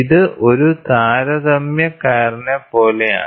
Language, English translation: Malayalam, So, it is something like a comparator